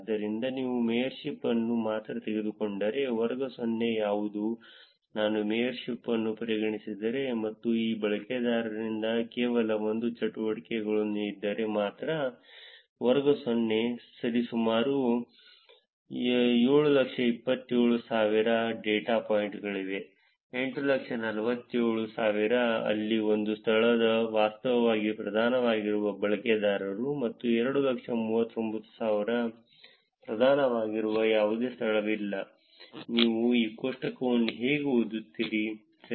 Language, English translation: Kannada, So, which is if you take only the mayorship, what is the class 0, which is only if I consider mayorship and there is only 1 activity by this user, there are about 727,000 data points in class 0; 847,000 where that are users where one location is actually predominant; and 239,000 there is no location that is predominant, that is how you read this table, correct